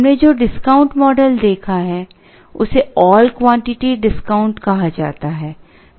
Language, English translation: Hindi, The discount model that we have seen is called an all quantity discount